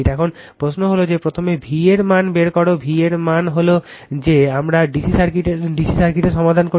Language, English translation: Bengali, Now, question is that what is first one is to find out the v v means that we have solve for DC circuit